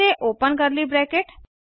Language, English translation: Hindi, And Open curly bracket